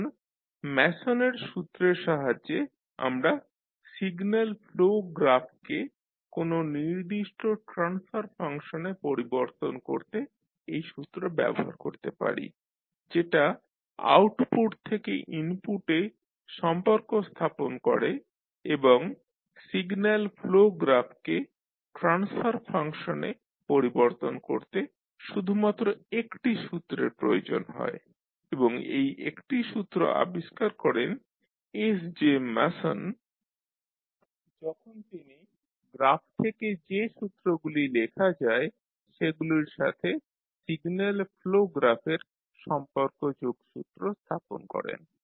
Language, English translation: Bengali, Now with the help of Mason’s rule we can utilize the rule reduce the signal flow graph to a particular transfer function which can relate output to input and this require only one single formula to convert signal flow graph into the transfer function and this formula was derived by SJ Mason when he related the signal flow graph to the simultaneous equations that can be written from the graph